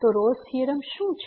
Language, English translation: Gujarati, So, what is Rolle’s Theorem